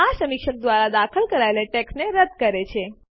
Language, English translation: Gujarati, This deletes the text inserted by the reviewer